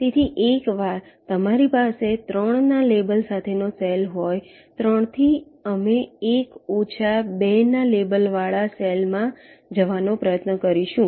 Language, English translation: Gujarati, ok, so once you have a cell with a label of three, from three we will try to go to a cell with a label of one less two